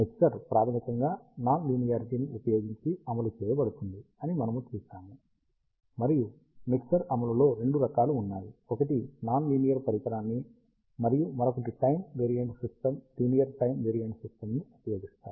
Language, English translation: Telugu, Ah We see that the mixture is implemented using non linearity basically, and there are two types of mixer implementation; one is using non linear device, and another using a time variant system linear time variant system